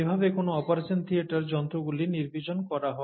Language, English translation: Bengali, How is an operation theatre sterilized